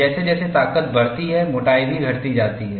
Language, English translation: Hindi, As the strength increases, thickness also decreases